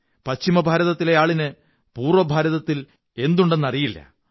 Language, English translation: Malayalam, People of West India may not be knowing what all is there in the East